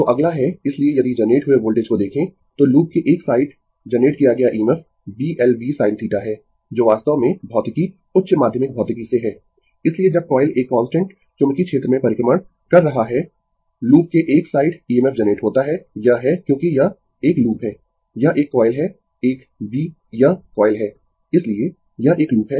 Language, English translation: Hindi, So, next is, so if you look at the voltage generated, so EMF generated at one side of the loop is B l v sin theta, that actually from your physics higher secondary physics, so when the coil is revolving in a constant magnetic field is EMF generated one side of the loop it is because it is a loop, it is a coil a B it is coil so, it is a loop